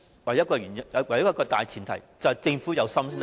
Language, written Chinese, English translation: Cantonese, 唯一一個大前提，就是政府要有心才行，......, The only premise is that the Government needs to set its mind on doing so